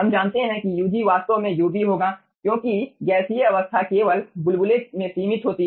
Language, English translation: Hindi, we know that ug will be actually your ub because gaseous phase is only limited in bubble